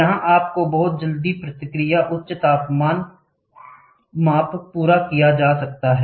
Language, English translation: Hindi, It gives you a very quick response to the high temperature measurement can be accomplished